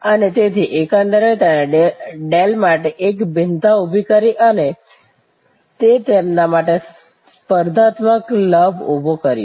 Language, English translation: Gujarati, And therefore, on the whole it created a differentiation for Dell and it created a competitive advantage for them